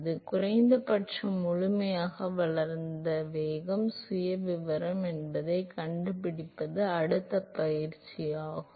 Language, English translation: Tamil, So, the next exercise is to find out what is the velocity profile, at least in the fully developed regime